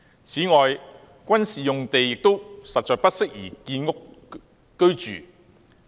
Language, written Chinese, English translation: Cantonese, 此外，軍事用地實在不宜建屋。, Moreover it is inappropriate to use military sites for housing production